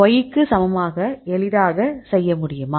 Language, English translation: Tamil, So, you can easily do the y equal to